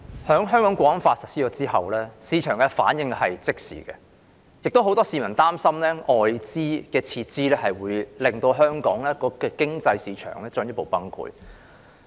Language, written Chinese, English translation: Cantonese, 《香港國安法》實施後，市場的反應是即時的，亦有很多市民擔心，外資撤資會令香港的市場經濟進一步崩潰。, Following the implementation of the National Security Law the reaction of the market was immediate . Many members of the public are concerned that the withdrawal of foreign investments will cause the further collapse of Hong Kongs market economy